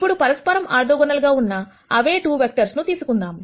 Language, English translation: Telugu, So, we say that these 2 vectors are orthogonal to each other